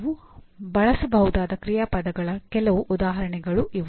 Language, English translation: Kannada, These are some examples of action verbs that you can use